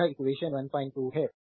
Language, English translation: Hindi, So, this is from equation 1